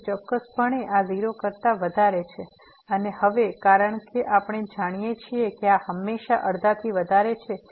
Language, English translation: Gujarati, So, certainly this is greater than 0 and also now because we know that this is always greater than half